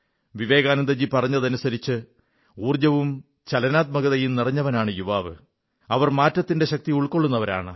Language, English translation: Malayalam, According to Vivekanand ji, young people are the one's full of energy and dynamism, possessing the power to usher in change